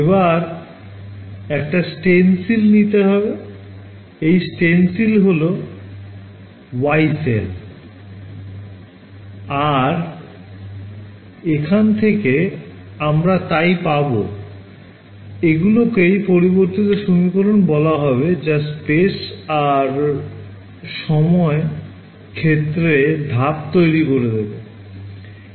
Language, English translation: Bengali, So, we made a stencil right, this stencil was the Yee cell right and from here we got the so, called update equations which allowed us to step the fields in space and time